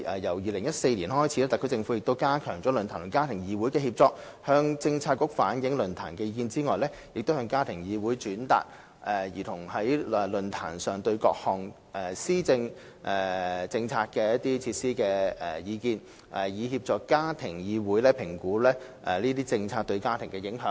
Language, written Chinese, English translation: Cantonese, 由2014年開始，特區政府亦加強論壇與家庭議會的協作，除向政策局反映論壇意見外，亦向家庭議會轉達兒童在論壇上對各項政策措施的意見，以協助家庭議會評估該等政策對家庭的影響。, Since 2014 the SAR Government has enhanced collaboration between the Forum and the Family Council . It has not only relayed the Forums views to Policy Bureaux but also forwarded to the Family Council the views expressed by children at the Forum on various policy measures so as to assist the Family Council in assessing policy impacts on families